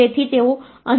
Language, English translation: Gujarati, So, you get 1